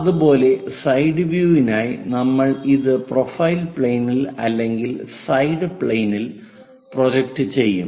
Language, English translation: Malayalam, Similarly, for side view we will projected it on to profile plane or side plane